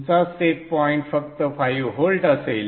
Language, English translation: Marathi, Your set point will just be 5 volts